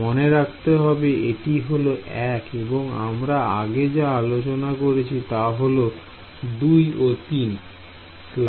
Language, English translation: Bengali, So, remember this was 1 and in our convention this was 2 and 3 ok